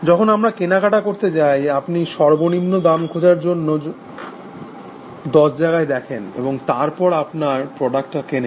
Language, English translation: Bengali, We go shopping; you do not, check in ten places then find the minimal cost price, and then buy your product